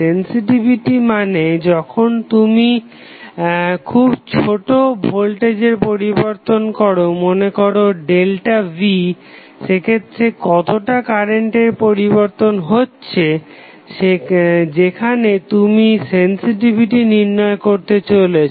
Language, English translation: Bengali, Sensitivity means, when you change the value of voltage a little bit say delta V, how much the current will change in that particular segment, where you are trying to find out the sensitivity